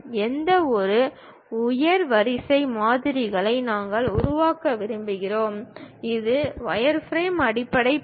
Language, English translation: Tamil, Any higher order models we would like to construct, wireframe is the basic step